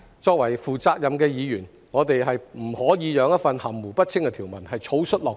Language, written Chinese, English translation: Cantonese, 作為負責任的議員，我們不可以讓一項含糊不清的《條例草案》草率落實。, As responsible Members we could not allow the hasty implementation of such an ambiguous Bill